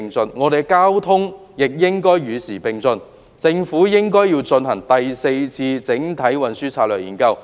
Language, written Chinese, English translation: Cantonese, 本港的交通亦應與時並進，政府有必要進行第四次整體運輸研究。, The local transportation should also progress with the times . It is necessary for the Government to conduct the Fourth Comprehensive Transport Study